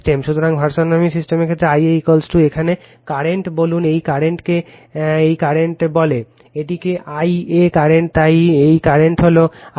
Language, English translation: Bengali, So, in the case of unbalanced system, I a is equal to say current here, this current is your what you call this current, this is I a current, so this current is I a right